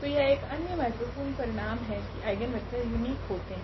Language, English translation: Hindi, So, another important result that this eigenvector is like a unique